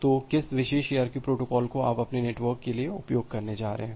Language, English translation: Hindi, So, which particular ARQ protocol you are going to use for your network